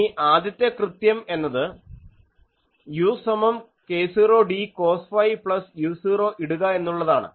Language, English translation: Malayalam, So, then if you look at this expression, u is equal to k 0 d cos theta plus u 0